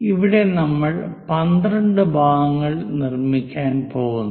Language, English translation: Malayalam, Here we are going to make 12 parts